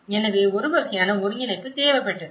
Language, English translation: Tamil, So, that is a kind of coordination which was needed